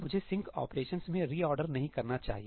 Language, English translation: Hindi, I should not reorder across the sync operations